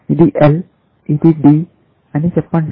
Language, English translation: Telugu, Let us say this is L this is D